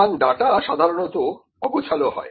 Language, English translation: Bengali, So, data is generally unstructured